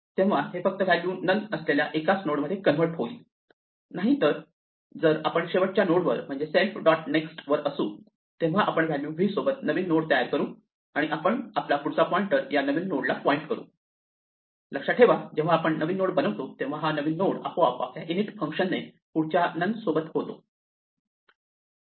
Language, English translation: Marathi, So, this just converts the single node with value none to the single node with value of v, otherwise if we are at the last node that is self dot next is none then we create a new node with the value v and we set our next pointer to point at the new node, remember when we create a new node the new node automatically is created by our init function with next none